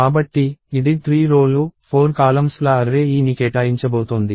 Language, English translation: Telugu, So, this is going to allocate an array A of 3 rows by 4 columns